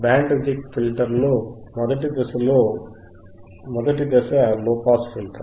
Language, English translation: Telugu, In Band Reject Filter Band Reject Filter, first stage is low pass filter